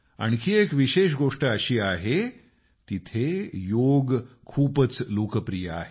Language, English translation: Marathi, Another significant aspect is that Yoga is extremely popular there